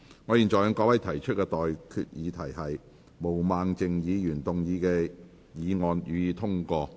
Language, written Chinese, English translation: Cantonese, 我現在向各位提出的待決議題是：毛孟靜議員動議的議案，予以通過。, I now put the question to you and that is That the motion moved by Ms Claudia MO be passed